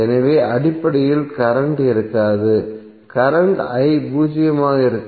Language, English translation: Tamil, So there would be basically no current so current i would be zero